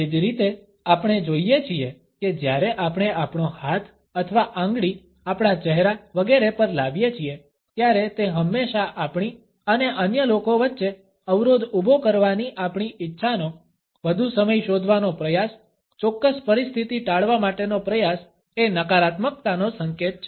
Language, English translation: Gujarati, Similarly, we find that when we bring our hand or our finger across our face, etcetera, it is always an indication of a negativity, of our desire to create a barrier between us and other people an attempt to seek some more time, an attempt to avoid a particular situation